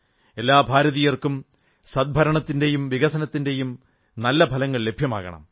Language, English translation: Malayalam, Every Indian should have access to good governance and positive results of development